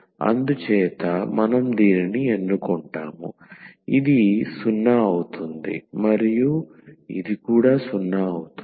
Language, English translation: Telugu, So, we will choose this so that this becomes 0 and this also becomes 0